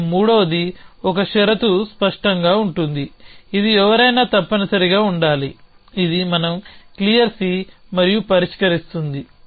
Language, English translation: Telugu, And the third a condition is clear C which must be there somebody should of point is these are this we clear C and that is solving